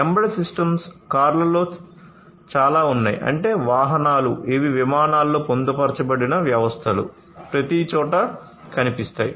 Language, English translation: Telugu, So, embedded systems have found a lot in the cars; that means, you know vehicles, these are found in aircrafts embedded systems are found everywhere